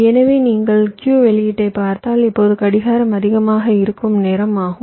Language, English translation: Tamil, so if you look at the q output, this is the time where clock is becoming high